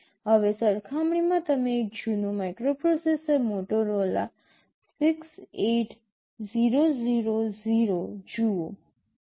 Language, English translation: Gujarati, Now, in comparison you see one of the older microprocessors Motorola 68000